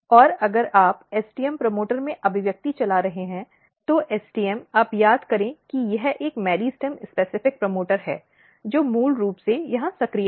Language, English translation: Hindi, And if you are driving expression in the STM promoter, STM you recall this is one meristem specific promoter, which is basically active here